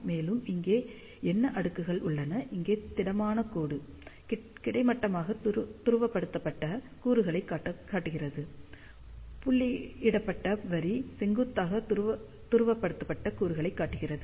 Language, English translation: Tamil, And what are the plots over here, here solid line shows horizontally polarized component, dotted line shows vertically polarized component